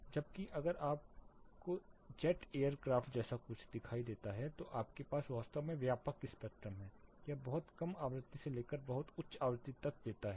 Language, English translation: Hindi, Whereas, if you see something like a Jet Air Craft take off you have a really wide spectrum, it ranges from a very low frequency to a very high frequency